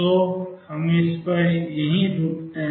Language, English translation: Hindi, So, we stop here on this